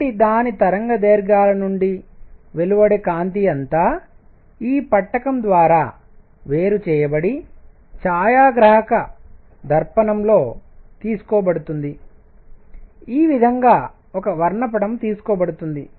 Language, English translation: Telugu, So, all the light that is coming out its wavelengths are separated by this prism and that is taken on a photographic plate that is how a spectrum is taken